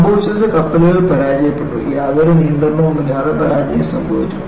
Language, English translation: Malayalam, What happened was, the ships failed; there was absolutely no control on fracture